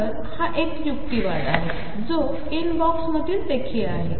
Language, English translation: Marathi, So, this is an argument which is also came inbox